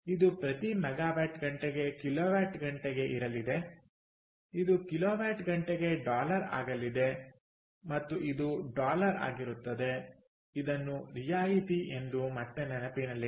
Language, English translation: Kannada, this is going to be in kilowatt hour per megawatt hour, this is going to be dollars per kilowatt hour and this is going to be dollar